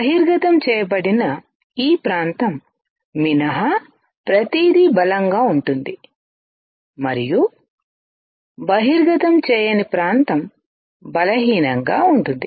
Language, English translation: Telugu, Everything except this area which is exposed will be strong and the area which is not exposed will be weak